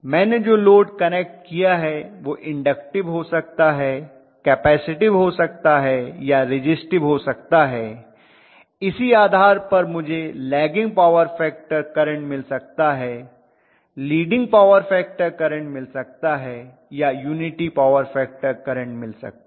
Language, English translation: Hindi, The load what I connect can be inductive, capacitive, resistive depending upon I may have a unity power factor current, I may have lagging, I may have leading current